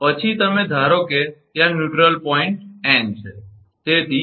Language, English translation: Gujarati, Then you assume the neutral point is there n